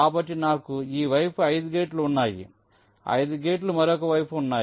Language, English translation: Telugu, i have five gates on other side